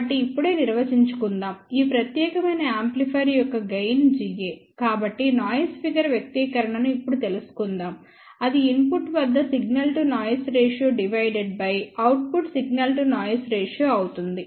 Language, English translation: Telugu, So, let us just define now, the gain of this particular amplifier is G a, so let us find out the expression for noise figure now, so that is signal to noise ratio at input by output